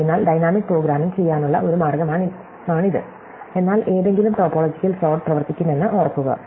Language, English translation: Malayalam, So, this is one way to do the dynamic programming, but remember any topological sort will work